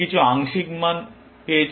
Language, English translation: Bengali, It has got some partial values beta 1